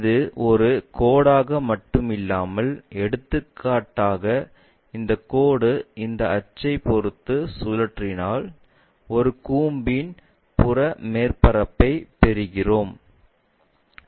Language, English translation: Tamil, If, it is just a line for example, only a line if we revolve around this axis, we get a peripheral surface of a cone